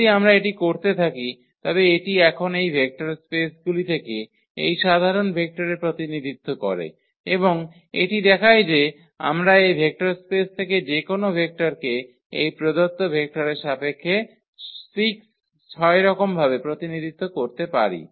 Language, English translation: Bengali, If we continue this so, that is the representation now of this general vector from this vector spaces and that shows that we can represent any vector from this vector space in terms of these given vectors which are 6 in number